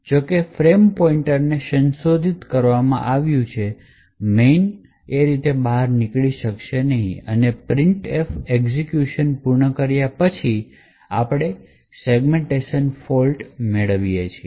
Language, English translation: Gujarati, However since the frame pointer has been modified the main will not be able to exit cleanly and that is why we obtain a segmentation fault after the printf completes execution